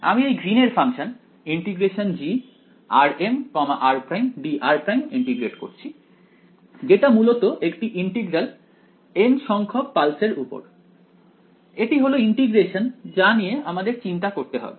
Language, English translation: Bengali, I am integrating this Green’s function g r m r prime dr prime essentially this is the integral right over the n th pulse this is the integration that I have to worry about